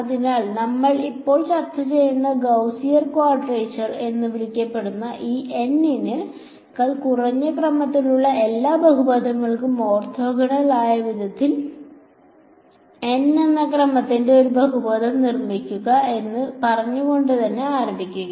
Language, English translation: Malayalam, So, this so called Gaussian quadrature that we are discussing now it starts with saying construct a polynomial of order N such that it is orthogonal to all polynomials of order less than N